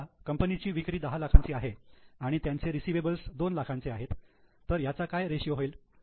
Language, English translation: Marathi, Suppose the sales of the company is 10 lakhs and they have receivables of 2 lakhs